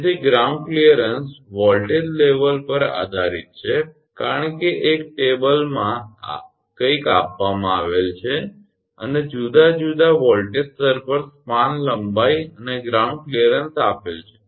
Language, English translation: Gujarati, So, for ground clearance depend on voltage level as table one something is given and gives the span length and ground clearance at different voltage level